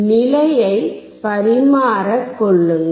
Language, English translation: Tamil, Just interchange the position